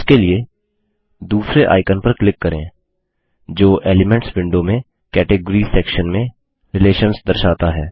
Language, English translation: Hindi, For this, let us click on the second icon that says Relations in the Categories section in the Elements window